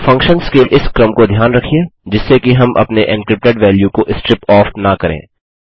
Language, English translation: Hindi, Remember this sequence for the functions, so that we are not striping off our encrypted value